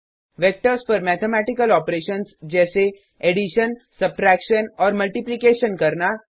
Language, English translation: Hindi, Perform mathematical operations on Vectors such as addition,subtraction and multiplication